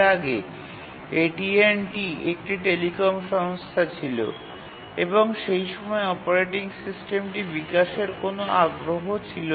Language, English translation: Bengali, Because AT&T was after all a telecom company and then that time, that point of time it didn't have interest in developing operating system